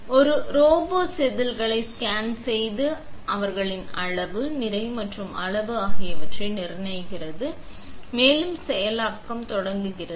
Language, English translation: Tamil, A robot scans the wafers and determines their quantity, position and size and the processing begins